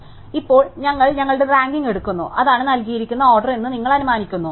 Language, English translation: Malayalam, So, now, we take our ranking and we assume that is the given order